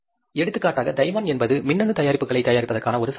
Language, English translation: Tamil, For example, Taiwan is a market which provides this kind of the material for manufacturing the electronics products